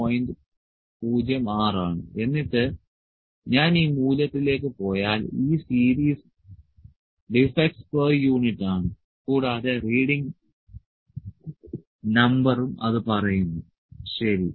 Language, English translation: Malayalam, 06 and if I go to this value it is the series is defects per unit and the reading number it also say, ok